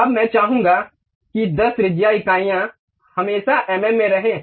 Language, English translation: Hindi, Now, I would like to have something like 10 radius units always be mm